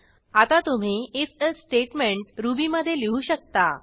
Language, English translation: Marathi, You should now be able to write your own if elsif statement in Ruby